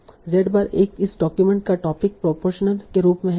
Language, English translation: Hindi, Z bar are the topic proportions of this document